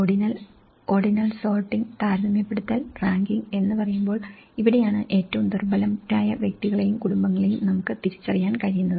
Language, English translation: Malayalam, Ordinal; when we say ordinal, sorting and comparing and ranking because this is where we can identify the most vulnerable individuals and households